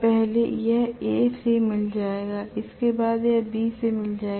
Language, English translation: Hindi, First it will meet with A, next it will meet with B, next it will meet with C